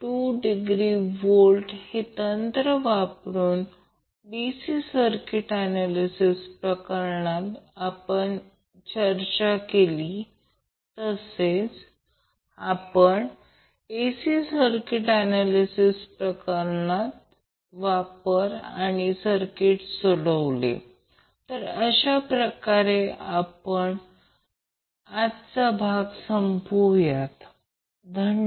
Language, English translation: Marathi, So using these techniques which we discuss in case of a DC circuit analysis, same we applied in the case of AC circuit analysis and solved the circuit so with this week close over today's session thank you